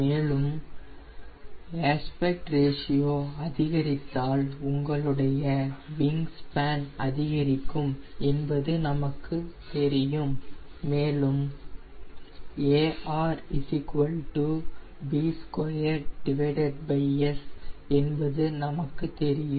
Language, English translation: Tamil, and we also know that as aspect ratio will increase, your wing span will also increase, since we know that b square upon s is aspect ratio, so b will be root under aspect ratio into area